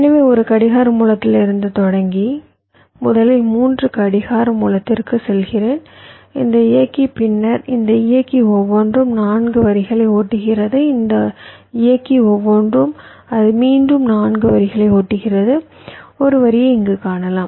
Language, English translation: Tamil, so, starting from a clock source, i am first going to three clock source with respect to this driver, then the each of this driver is driving four lines, and each of this driver i am showing one it may be driving again four